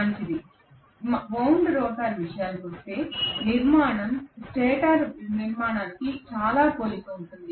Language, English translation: Telugu, Fine, as far as the wound rotor is concerned the structure is very similar to the stator structure